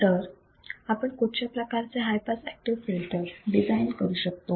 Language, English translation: Marathi, So, when you talk about the low pass active filters what have we seen